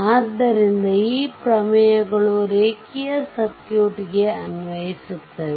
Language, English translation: Kannada, So, these theorems are applicable to linear circuit